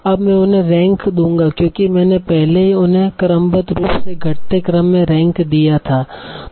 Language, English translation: Hindi, Now the first thing I will do I will try to sort them in the decreasing order